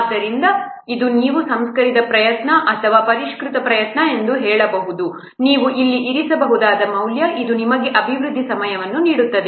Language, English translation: Kannada, So this is the, you can say refined effort or this is the revised effort, that value you can put here, this will give you the development time